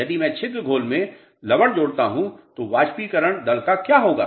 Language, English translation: Hindi, If I add salts in the pore solution what will happen to evaporation rate